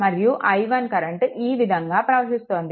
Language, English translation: Telugu, So, here also that i 1 current is flowing